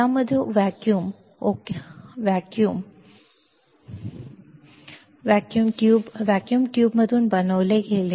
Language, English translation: Marathi, In this, the op amp was made out of vacuum tube ok, vacuum tube